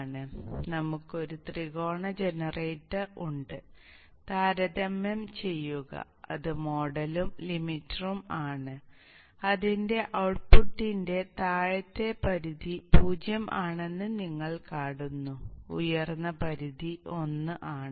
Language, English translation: Malayalam, So we have a triangle generator, a thumb pair and its model and a limiter, the output of which you see that the lower limit is 0, upper limit is set at 1